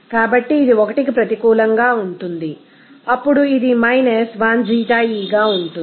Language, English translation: Telugu, So, it will be negative of 1 then it will be 1 Xie